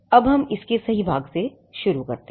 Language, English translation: Hindi, Now let us start with the right part of it